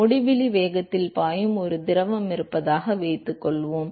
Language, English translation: Tamil, Supposing there is a fluid which is flowing at uinfinity velocity